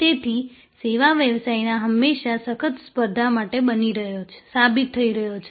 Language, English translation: Gujarati, So, service business is always being proven to tough competition